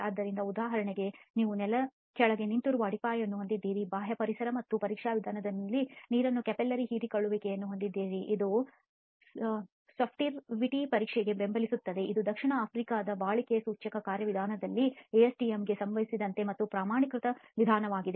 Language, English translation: Kannada, So for example you have a foundation standing in under the ground and you have capillary suction of the water from the external environment and test method that reflects that is sorptivity test which is again a standardized method as far as ASTM in the South African durability index procedures are concerned